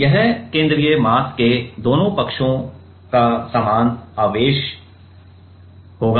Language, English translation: Hindi, It will be the same charge of the both sides of the central mass